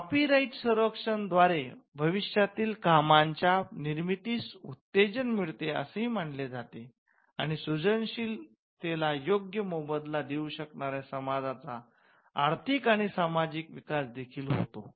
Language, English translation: Marathi, Copyright protection is also believed to incentivize creation of further works and it also has the economical and social development of a society which the creative work could contribute to